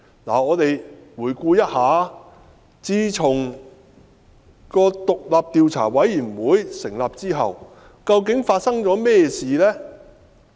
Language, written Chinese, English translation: Cantonese, 我們且回顧自獨立調查委員會成立後發生的事件。, Let us review the incidents that occurred since the setting up of the Commission